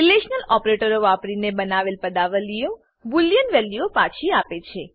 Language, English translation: Gujarati, Expressions using relational operators return boolean values